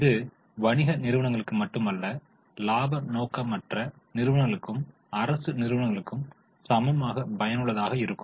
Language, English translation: Tamil, It is not only restricted to business entities, it is equally useful for non profit organizations, for government organizations